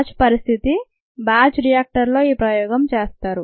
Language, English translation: Telugu, ok, this experiment is done in a batch situation batch reactor